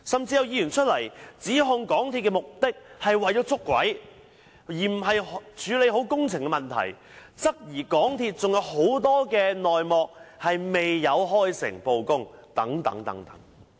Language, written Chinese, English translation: Cantonese, 有議員甚至指控港鐵公司是試圖"捉鬼"，而不是處理好工程問題，質疑港鐵公司還有很多內幕未有開誠布公等。, A Member has even accused MTRCL of trying to catch the leaker instead of properly tackling the construction problem and questioned among other things whether MTRCL has yet to disclose many hidden details